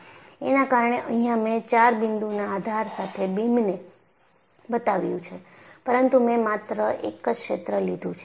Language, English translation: Gujarati, That is why I have shown a beam with 4 point supports, butI have taken only a region